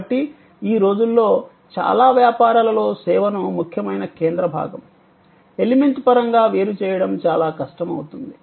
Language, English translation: Telugu, So, these days in many business is it is become very difficult to distinguish the service in terms of the core element